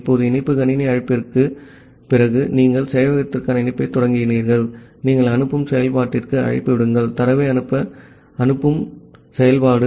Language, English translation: Tamil, Now, after that after the connect system call has made, you have initiated the connection to the server then, you make the call to the send function, the send function to send the data